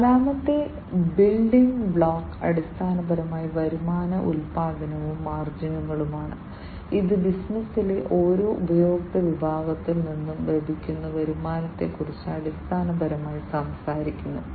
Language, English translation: Malayalam, The fourth building block is basically the revenue generation and the margins, which basically talks about the revenue that is generated from each customer segment in the business